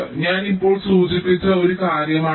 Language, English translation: Malayalam, this is one thing i just now mentioned